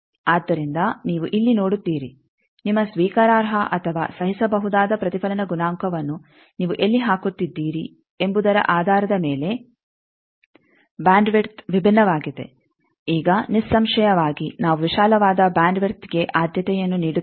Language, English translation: Kannada, So, here you see based on where you are putting your acceptable or tolerable reflection coefficient the bandwidth is different now obviously, we will prefer a wider bandwidth one